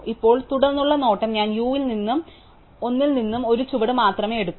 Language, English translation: Malayalam, So, now subsequent look up, so I am going to take only one step from u and l